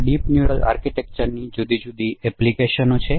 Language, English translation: Gujarati, So there are different applications of this deep neural architecture